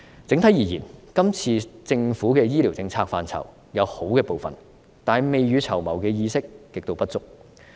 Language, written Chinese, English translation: Cantonese, 整體而言，這次政府的醫療政策範疇，有好的部分。但是，未雨綢繆的意識極度不足。, Generally speaking the Governments current initiatives in the policy area of health care services are meritorious in part but extremely lacking in precautionary awareness